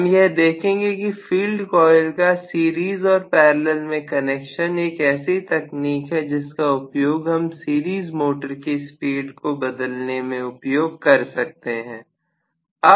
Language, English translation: Hindi, So, we are actually going to see that the series parallel connection of field coils generally is a very very commonly used technique to change the speed of a series motor